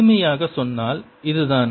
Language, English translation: Tamil, simply put, this is what it is